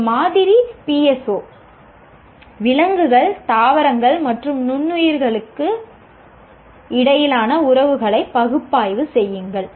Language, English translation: Tamil, A sample PSO, analyze the relationships among animals, plants and microbes